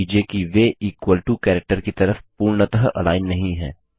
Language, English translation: Hindi, Notice that they are not perfectly aligned on the equal to character